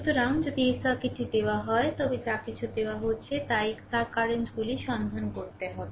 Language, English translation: Bengali, So, if this circuit is given right you have to find out the currents of these whatever is given right